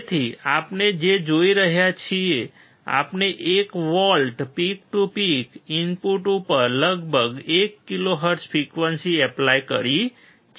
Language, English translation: Gujarati, So, what we are looking at, we have applied 1 volts peak to peak, around 1 kilohertz frequency at the input